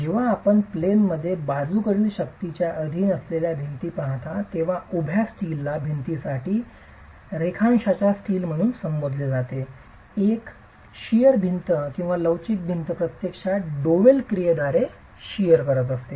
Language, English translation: Marathi, When you look at a wall subjected to in plain lateral forces, the vertical steel, what is referred to as the longitudinal steel for a wall, a shear wall or a flexural wall actually carries shear by double action